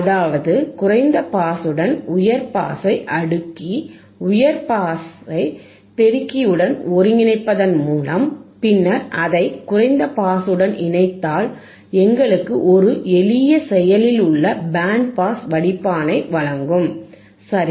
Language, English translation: Tamil, That means that, now by cascading the high pass with low pass ends and integrating high pass with amplification, and then connecting it to low pass, this will give us the this will give us a high a simple active band pass filter, alright